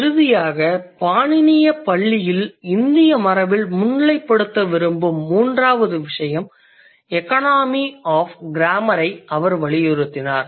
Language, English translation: Tamil, And finally, the third point that I want to highlight in the Indic tradition in Pananian school is he emphasized on economy of grammar